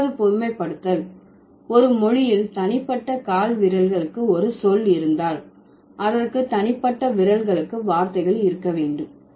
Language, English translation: Tamil, So, that is why if a language has words for individual toes, it must have words for the individual fingers